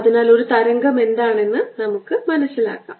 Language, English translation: Malayalam, so let us understand what a wave is